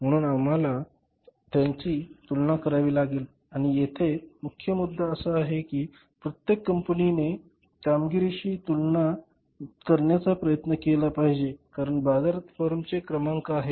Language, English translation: Marathi, So we will have to compare it and the focal point here is the Abri company should try to compare it with the leaders performance because there are the rankings of the firm in the market